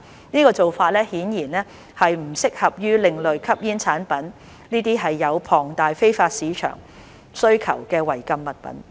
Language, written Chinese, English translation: Cantonese, 這做法顯然不適合用於另類吸煙產品這些有龐大非法市場需求的違禁物品。, This is clearly not suitable for ASPs which are prohibited articles with a huge demand in the illegal market